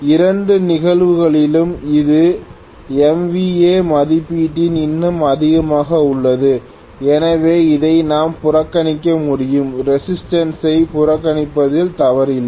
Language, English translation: Tamil, In both the cases it is even more so in MVA rating, so we can afford to neglect this, there is nothing wrong in neglecting the resistance